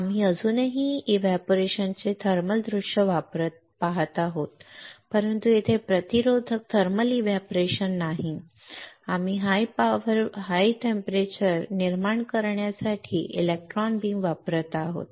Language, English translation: Marathi, We are still using the thermal view of evaporating, but here it is not a resistive thermal evaporation, we are using a electron beam to generate the high temperature